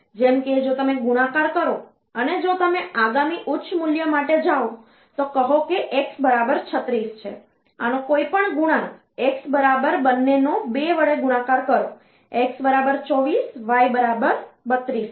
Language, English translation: Gujarati, So, so say x equal to say 36, any multiple of this, x equal to the multiply both of them by 2 say, x equal to 24, y equal to 32